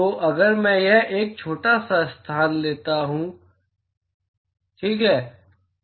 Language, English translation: Hindi, So, if I take a small location here ok